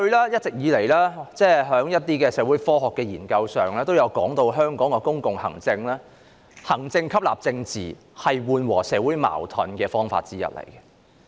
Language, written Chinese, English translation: Cantonese, 一直以來，一些社會科學研究也指出，香港的公共行政是以行政吸納政治，這是緩和社會矛盾的方法之一。, All along it has been pointed out in social science studies that public administration in Hong Kong employs administrative absorption of politics which is one of the ways to alleviate social conflicts